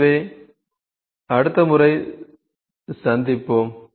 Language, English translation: Tamil, So, we will meet next time